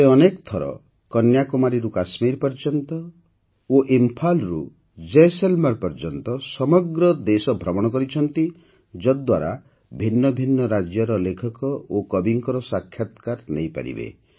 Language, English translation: Odia, She travelled across the country several times, from Kanyakumari to Kashmir and from Imphal to Jaisalmer, so that she could interview writers and poets from different states